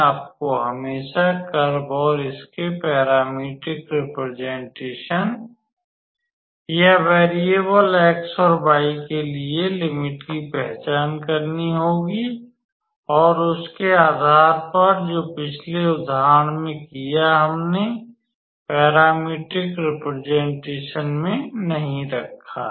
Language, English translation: Hindi, You always have to identify the curve and its parametric representation or the range for the variable x and y and based on that which either in this case in the previous example we did not have to put the parametric representation